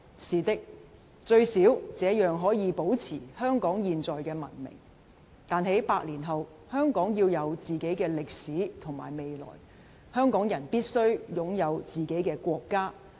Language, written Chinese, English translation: Cantonese, 是的，最少這樣可以保持香港現在的文明，但在百年後，香港要有自己的歷史與未來，香港人必須擁有自己的國家。, Yes at least in this way Hong Kongs current civilization can be preserved but after a hundred years Hong Kong must have its own history and future and Hong Kong people must have their own country